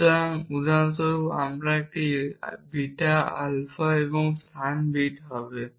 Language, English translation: Bengali, So, for example, a alpha beta alpha and and place beet